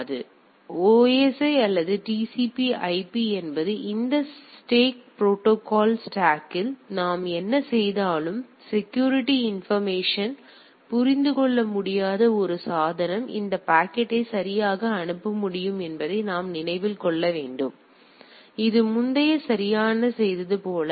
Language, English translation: Tamil, So, whatever we do with this stack protocol stack whether OSI or TCP/IP; we need to keep in mind that a device which is not able to decipher these security information should able to forward this packet right; as it was doing earlier right